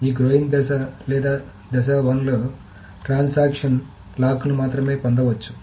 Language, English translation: Telugu, In this growing phase or phase one, a transaction may only obtain locks